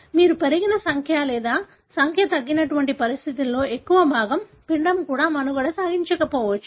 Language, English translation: Telugu, Majority of such conditions, wherein you have had increased number or decreased number, the embryo may not even survive